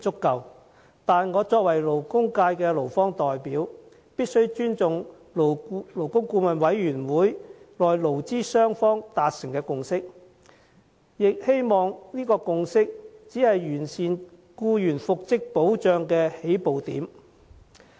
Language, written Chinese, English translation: Cantonese, 然而，我作為勞工界的代表，必須尊重勞顧會內勞資雙方達成的共識，亦希望以此作為完善僱員復職保障的起步點。, However as the representative of the labour sector I have to respect the consensus reached between employers and employees at LAB . I also hope that this will become the starting point for enhancing the protection of employees in respect of reinstatement